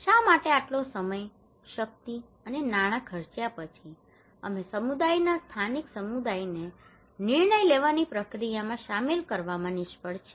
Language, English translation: Gujarati, Why after spending so much of time, energy and money, we fail to incorporate communities local communities into the decision making process